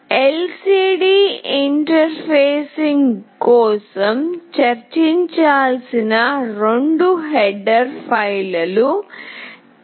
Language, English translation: Telugu, The two header files that are required to be included for LCD interfacing is TextLCD